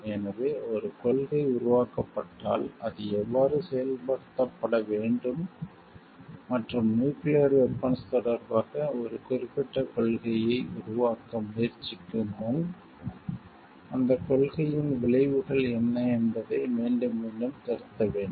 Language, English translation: Tamil, So, how if a policy is framed it needs to be executed and, what are the consequences of that policy needs to be revisited again and again before we like try to establish a particular policy regarding nuclear weapons